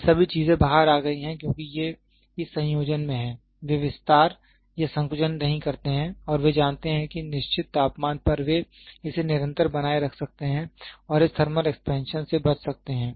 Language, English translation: Hindi, All these things are come out because these are at this combination, they do not expand or contract and they know at certain temperature they can maintain it a constant and avoid this thermal expansion